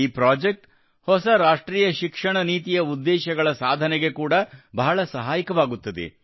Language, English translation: Kannada, This project will help the new National Education Policy a lot in achieving those goals as well